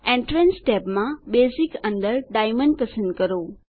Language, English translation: Gujarati, In the Entrance tab, under Basic, select Diamond